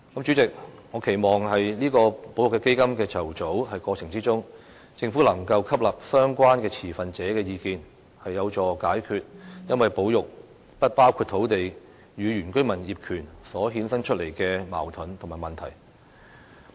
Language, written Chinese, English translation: Cantonese, 主席，我期望在保育基金的籌組過程中，政府能夠吸納相關持份者的意見，這會有助解決因為保育"不包括土地"與原居民業權所衍生出的矛盾與問題。, President I hope that in its preparation for setting up the conservation fund the Government can take on board the views of relevant stakeholders . This can help to resolve the conflicts and problems with indigenous villagers ownership arising from enclave conservation